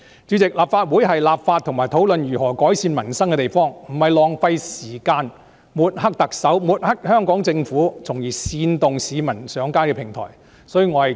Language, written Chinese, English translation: Cantonese, 主席，立法會是立法及討論如何改善民生的地方，不是浪費時間抹黑特首及香港政府，從而煽動市民上街的平台。, President the Legislative Council is a venue where laws are made and improvements of peoples livelihood discussed not a platform on which time is wasted on smearing the Chief Executive and the Hong Kong Government thereby inciting people to take to the streets